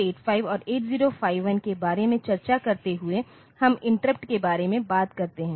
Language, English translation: Hindi, So, in it is a while discussing about 8085 and 8051 we are talked about interrupts